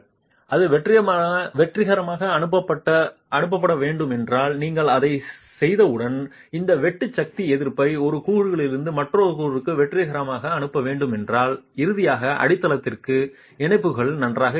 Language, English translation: Tamil, Once you do that, if that has to be transmitted successfully, if that shear force resistance has to be successfully transmitted from one component to the other, finally to the foundation, the connections have to be good